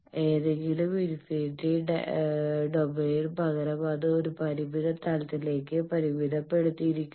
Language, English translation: Malayalam, That instead of any infinite domain it is confined to a finite plane